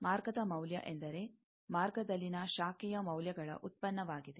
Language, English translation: Kannada, Path value, product of branch values in the path